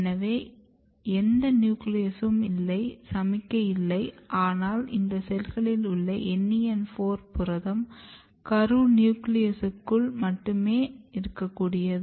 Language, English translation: Tamil, So, there is no nucleus no signal, but this cells has NEN4 protein localization only inside the nucleus